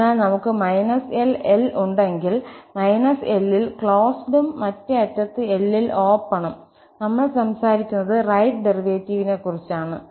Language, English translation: Malayalam, So, therefore, we have included here minus L and open at the other end, then we are talking about the right derivative